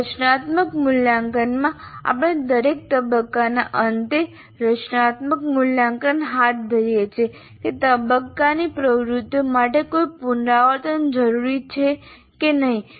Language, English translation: Gujarati, In formative evaluation, we undertake the formative evaluation at the end of every phase to decide whether any revisions are necessary to the activities of that phase